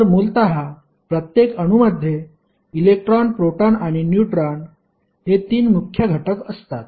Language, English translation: Marathi, Inside the atom you will see electron, proton, and neutrons